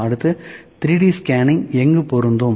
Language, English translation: Tamil, Next, where does 3D scanning apply